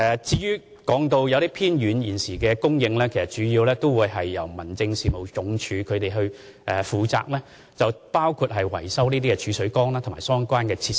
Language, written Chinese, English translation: Cantonese, 至於現時某些偏遠鄉村的自來水供應，其實主要由民政署負責，包括維修儲水缸及相關設施。, As regards the current supply of treated water to some remote villages it is mainly the responsibility of HAD including the maintenance and repairs of storage tanks and relevant facilities